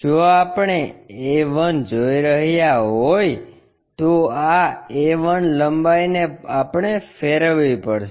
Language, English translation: Gujarati, If, we are looking a 1, this a 1 length we have to rotate it